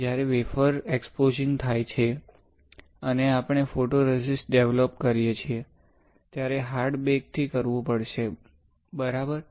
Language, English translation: Gujarati, So, when you expose the wafer and we develop the photoresist, you have to perform hard bake ok